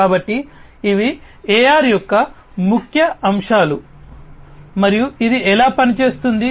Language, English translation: Telugu, So, these are the key aspects of AR and how it works